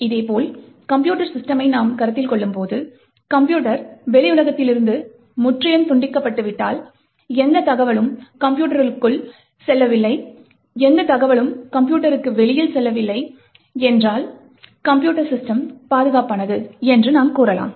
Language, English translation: Tamil, In a very similar way, when we consider computer systems, if the computer is totally disconnected from the external world, no information is going into the computer and no information is going outside a computer, then we can say that computer system is secure